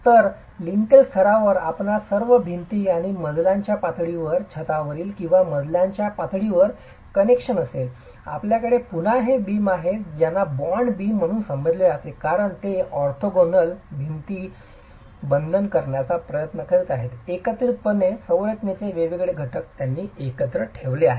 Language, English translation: Marathi, So, at the lintel level you will have connections between all the walls and at the floor level, at the roof of the floor level you again have these beams which are referred to as bond beams simply because they are trying to bond the orthogonal walls together, the different elements of the structure are kept together using this sort of an element